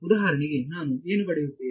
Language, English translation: Kannada, So, for example, what I will get